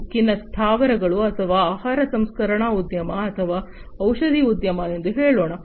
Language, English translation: Kannada, Like let us say steel plants or, you know, food processing industry or, pharmaceuticals industry etcetera